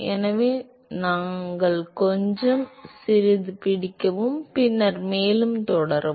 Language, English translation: Tamil, And so, let us little bit of; let us little bit; catch up a little bit, and then proceed further